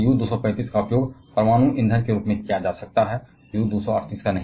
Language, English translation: Hindi, While U 235 can be used as a nuclear fuel, U 238 cannot